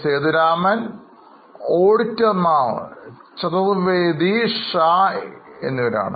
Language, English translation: Malayalam, The auditors are Chathurvedi and Shah